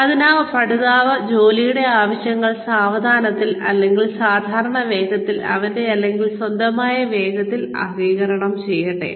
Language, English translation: Malayalam, So, let the learner absorb, the needs of the job, at a slow pace, and or, at a normal pace, at his or herown speed